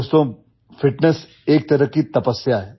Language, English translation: Hindi, Friends, fitness is a kind of penance